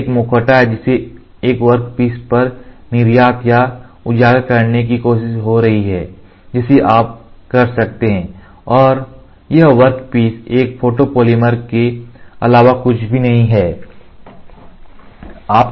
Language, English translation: Hindi, This is a mask which is getting try to export or exposed on a workpiece you can do it and this workpiece is nothing, but a photopolymer